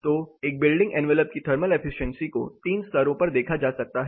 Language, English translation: Hindi, So, the thermal efficiency of a building envelope can be looked at in 3 levels